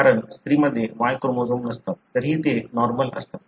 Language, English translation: Marathi, Because the female don’t have the Y chromosome, still they are normal